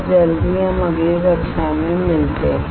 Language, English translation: Hindi, And as soon as we meet in the next class